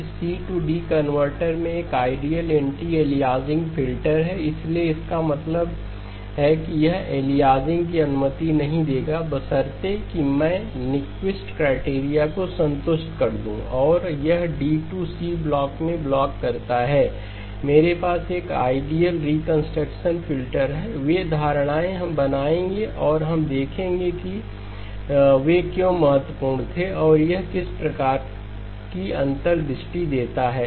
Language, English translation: Hindi, That in the C to D converter, there is an ideal anti aliasing filter, so that means it will not allow aliasing provided I have satisfied Nyquist criterion and this block the D to C block, I have an ideal reconstruction filter, those are assumptions that we will make and we will see why those were important and what sort of insight that it gives